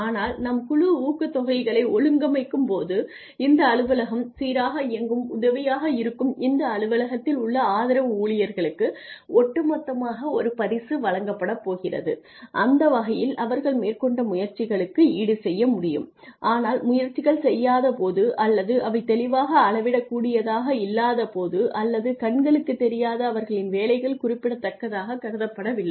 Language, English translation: Tamil, But when we organize team incentives we say all the staff because this office is functioning so beautifully the support staff in this office are going to be given a prize as a whole and that way they can be compensated for the efforts that they put in, but the efforts that are not clearly measurable or visible or are not seen as significant till they are not there